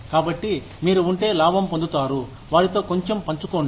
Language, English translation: Telugu, So, if you make a profit, share a little bit, with them